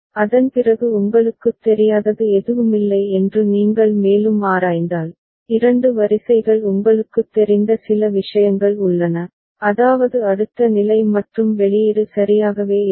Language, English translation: Tamil, After that if you further examine as such there is no such you know, two rows where you know exactly some such thing is there, I mean the next state and output are exactly the same